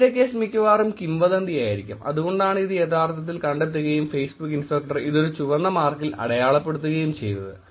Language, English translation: Malayalam, In the first case it is probably a rumour, that is why it is actually finding out and saying Facebook inspector is producing this result with red mark